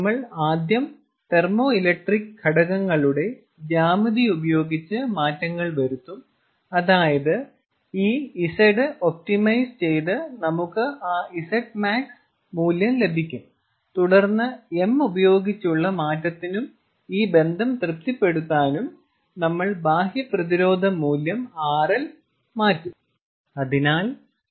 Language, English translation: Malayalam, you know, what we will do is we will first play around with the geometry of the thermoelectric elements such that this z is optimized and we get that z max value, and then, in order to play around with m and satisfy this relation, we will play, we will alter the external resistance value, rl